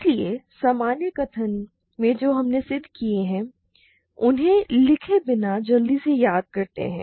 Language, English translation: Hindi, So, the general statements we have proved; let me quickly recall without writing them